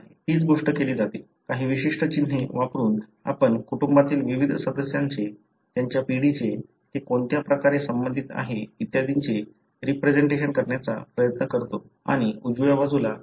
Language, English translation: Marathi, The same thing is done, by using certain symbols we try to represent the different members of the family, their generation, in what way they are related and so on and this is what is shown on the right side